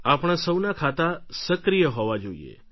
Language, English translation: Gujarati, All of our accounts should be kept active